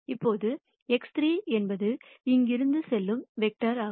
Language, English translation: Tamil, Now X 3 is the vector that goes from here to here